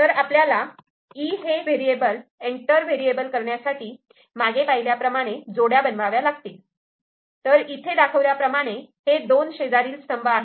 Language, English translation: Marathi, So, when variable E enters, so then we will be forming pairs the way we have seen, so this is the adjacent columns ok